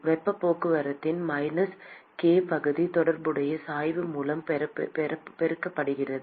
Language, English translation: Tamil, Minus k area of heat transport multiplied by the corresponding gradient